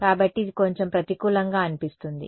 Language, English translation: Telugu, So, that seems like a bit of a disadvantage